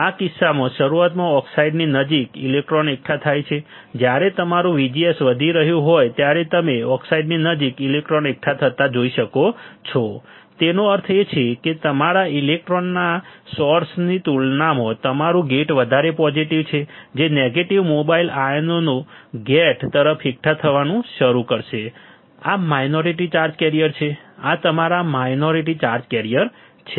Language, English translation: Gujarati, In this case initially electrons accumulate near the oxide, you can see the electrons accumulating near the oxide right when your VGS is increasing; that means, your gate is more positive than compared to source your electrons that is the negative mobile ions will start accumulating towards the gate these are minority charge carriers these are your minority charge carriers